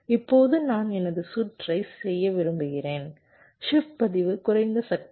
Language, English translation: Tamil, now i want to make my circuit, the shift register, low power